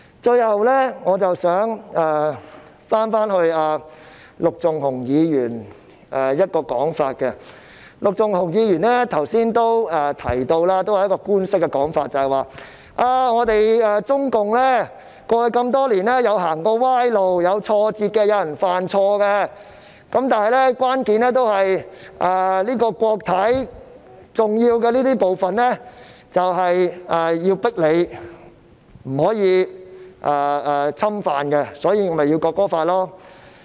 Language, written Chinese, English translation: Cantonese, 最後，我想回應陸頌雄議員的發言，陸頌雄議員剛才也提到一個官式說法，就是中共過去多年曾經走過歪路、遇到挫折、也有人犯錯，但關鍵在於國體的重要部分不能被侵犯，所以便要訂立《國歌法》。, Finally I would like to respond to the remarks of Mr LUK Chung - hung . Just now Mr LUK Chung - hung has toed the official line saying that CPC may have gone astray experienced failure and made mistakes over past years yet the key is that the crucial part of the State system should not be infringed upon which warrants the enactment of the National Anthem Law